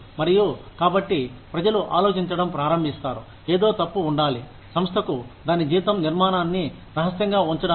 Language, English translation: Telugu, And, so people start thinking, something must be wrong, for the organization, to keep its salary structure secret